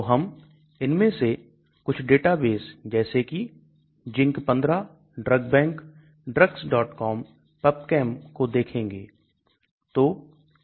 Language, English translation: Hindi, So we will look at some of these databases like ZINC15, DRUG BANK, Drugs